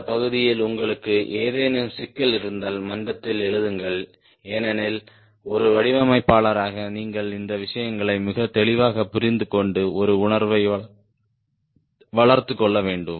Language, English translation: Tamil, if you have any problem in this part, do write in the forum, because as a designer, you need to understand these things very clearly and develop a feel typical values